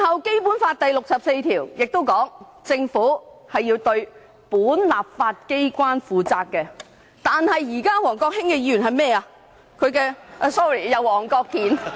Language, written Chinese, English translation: Cantonese, 《基本法》第六十四條亦訂明，政府要對本立法機關負責，但王國興議員現在要幹甚麼？, Article 64 of the Basic Law also stipulates that the Government must be accountable to the Legislative Council but what is Mr WONG Kwok - hing trying to do now?